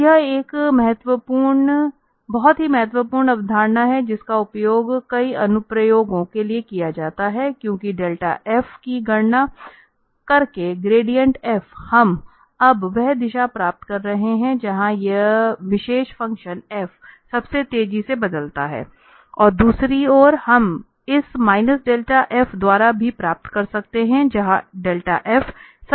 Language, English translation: Hindi, So, this is a very important concept which is very much used in many applications, because, by simply computing this delta f, the gradient f, we are getting now the direction where this function this particular function f changes most rapidly and on the other hand we can also get by this minus delta f a direction where the delta f changes they decrease most rapidly